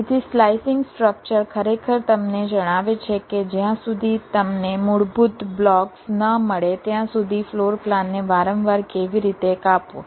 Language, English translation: Gujarati, so slicing structure actually tells you how to slice a floor plan repeatedly until you get the basic blocks